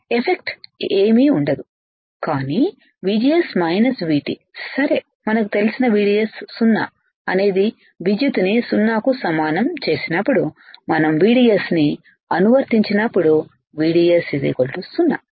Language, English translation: Telugu, Effective v effective is nothing, but VGS minus V T right we know that VDS equals to 0 implies current equals to 0 right when we applied VDS equals to 0